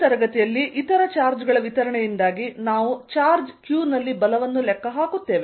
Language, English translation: Kannada, In this class, we will calculate force on a charge q due to distribution of charges